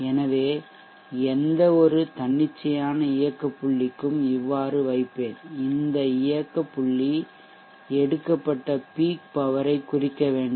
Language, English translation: Tamil, So for any arbitrary operating point I will keep it like this and this operating point should represent the peak power that is being drawn